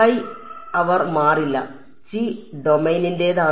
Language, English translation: Malayalam, The chi they will not change, the chi belongs to the domain